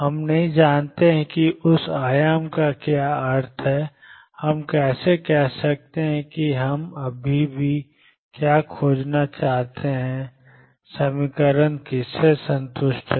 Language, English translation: Hindi, We do not know what that amplitude means how can we say what we still want to discover what is the equation satisfied by